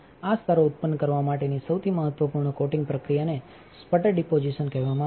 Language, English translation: Gujarati, The most important coating process to produce these layers is called sputter deposition